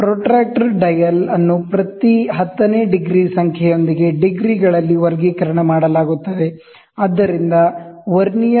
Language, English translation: Kannada, The protractor dial is graduated in degrees with every tenth degree numbered, so Vernier